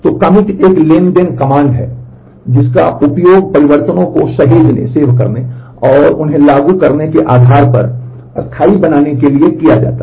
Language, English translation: Hindi, So, commit is a transaction command which is used to save changes and make them permanent based on what has been invoked